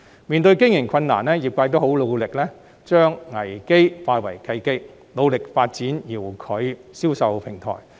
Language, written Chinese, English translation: Cantonese, 面對經營困難，業界都很努力將危機化為契機，努力發展遙距銷售平台。, In the face of operational difficulties the industry has worked very hard to turn crises into chances by striving to develop remote sales platforms